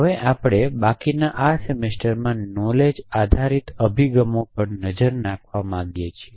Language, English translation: Gujarati, So, we want to now spend the rest of the semester looking at knowledge based approaches